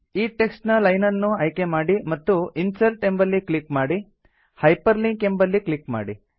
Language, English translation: Kannada, Select the second line of text and click on Insert and then on Hyperlink